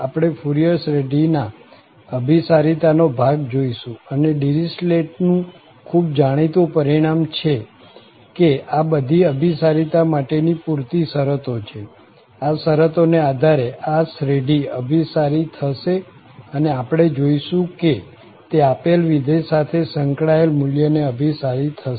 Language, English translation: Gujarati, In particular, we will be covering the portion on convergence of the Fourier series and there is a famous result by the Dirichlet that these are the sufficient conditions for the convergence, under these conditions the series will converge and we will see that it will converge to what value related to the given function